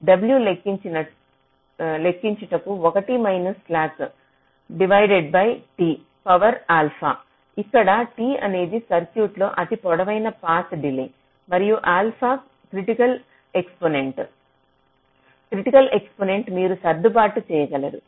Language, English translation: Telugu, you can calculate w as one minus slack divide by t to the power, alpha, where t is the longest path delay in the circuit, and alpha is some critically exponent, critical to exponent, which you can adjust